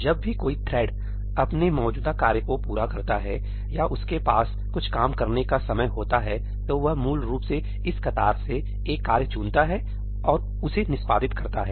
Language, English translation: Hindi, Whenever some thread finishes its existing task or has time to do some work, it basically picks up a task from this queue and executes it